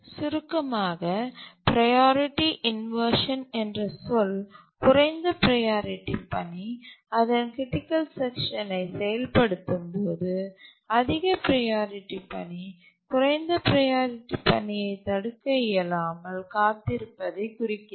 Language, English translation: Tamil, The term priority inversion implies that when a low priority task is executing its critical section and a high priority task that is ready keeps on waiting until the low priority task can be preempted